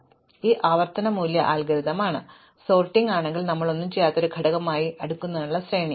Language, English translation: Malayalam, So, this is a recursive value algorithm, if the sorting, array to be sorted has only one element we do nothing